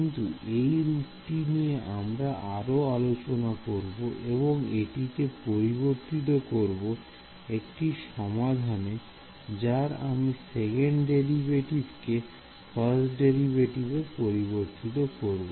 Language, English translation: Bengali, But this is the form that we will use to convert into a numerical solution the once I have transfer the second derivative into a first derivative ok